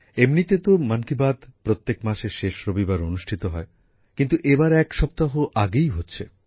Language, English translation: Bengali, Usually 'Mann Ki Baat' comes your way on the last Sunday of every month, but this time it is being held a week earlier